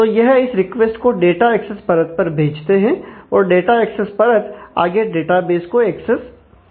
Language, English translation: Hindi, So, it passes on this request to the data access layer, the data access layer in turn access the database